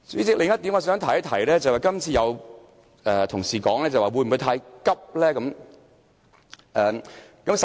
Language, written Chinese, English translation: Cantonese, 代理主席，我想提出另一點，有同事問會否太趕急？, Deputy President I wish to make one more point . Some Honourable colleagues have asked if this approach is too hasty